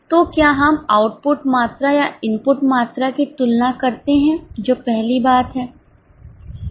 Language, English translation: Hindi, So, shall we compare output quantities or input quantities